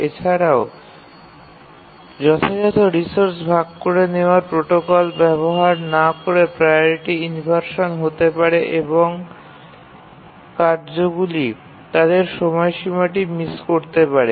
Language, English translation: Bengali, Support for resource sharing protocols, because without use of proper resource sharing protocols, there can be priority inversions and tasks may miss their deadline